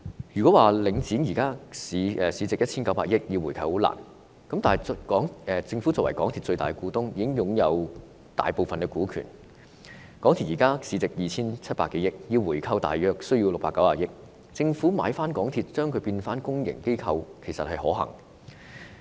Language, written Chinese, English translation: Cantonese, 若說因為領展現時市值 1,900 億元而難以回購，那麼政府作為港鐵的最大股東，擁有大部分股權，以港鐵現時市值 2,700 多億元計算，回購港鐵只需約690億元，政府回購港鐵，使之成為公營機構，其實是可行的。, If a buyback of Link REIT is said to be difficult given that its market value now stands at 190 billion it is actually feasible for the Government to buy back MTRCL and turn it into a public body as the Government being the biggest shareholder of MTRCL holds a majority stake in the corporation and if we make calculations based on MTRCLs current market value of some 270 billion a buyback will cost only about 69 billion